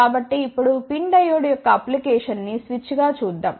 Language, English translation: Telugu, So, now let us see the application of PIN Diode as a switch